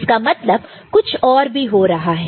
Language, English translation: Hindi, So, something else is happening, right